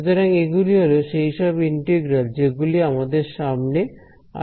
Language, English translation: Bengali, So, these are the integrals that we will come across